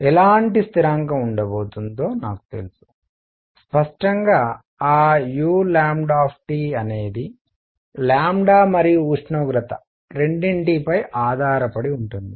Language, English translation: Telugu, What kind of constant is going to be I know; obviously, that u lambda T depends both on lambda and temperature